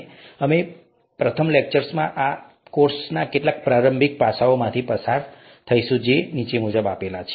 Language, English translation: Gujarati, We will go through some initial aspects of this course in the first lecture which is this